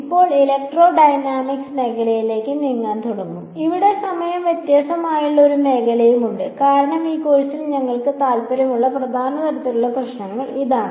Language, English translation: Malayalam, Now, we will begin to move into the area of electrodynamics, where there is a time varying field as well because that is the main kind of problems that we are interested in this course